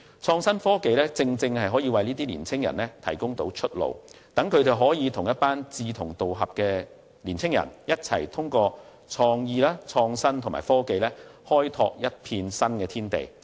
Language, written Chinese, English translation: Cantonese, 創新科技正好為這些年青人提供出路，讓他們可與一群志同道合的年青人，一起透過創意、創新和科技開拓一片新天地。, IT has precisely provided an alternative for these young people to work together with like - minded youths to open up new horizons through creativity innovation and technology